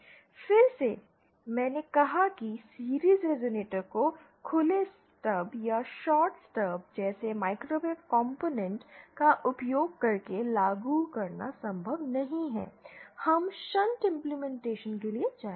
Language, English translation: Hindi, Since again, I said series resonator in series is not possible to implement using microwave components like open stub or a shorted stub, we will go for the shunt implementation